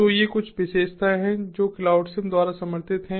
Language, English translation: Hindi, so these are some of the features that are supported by cloud sim